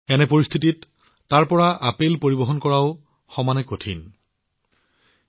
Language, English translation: Assamese, In such a situation, the transportation of apples from there is equally difficult